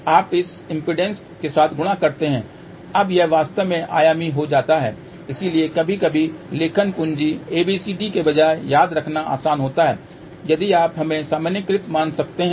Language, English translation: Hindi, You multiply with this impedance, now this become dimensional so in fact, it is sometimes easier to remember instead of a writing capital ABCD if you write in terms of let us say normalized value